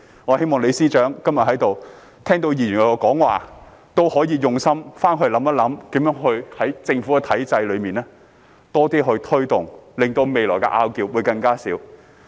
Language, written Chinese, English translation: Cantonese, 我希望今天在席的李司長聽到議員的發言，可以回去用心思考，如何在政府體制內多些推動，令到未來的爭拗會更少。, I hope that Chief Secretary LEE who is here today will ruminate on what Members said today and see how to make more efforts within the government system so that there will be less disputes in the future